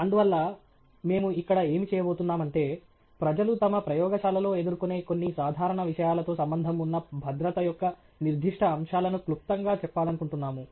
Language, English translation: Telugu, And so, what we are going to do here, is briefly just highlight specific aspects of safety associated with some of the common things that people encounter in their labs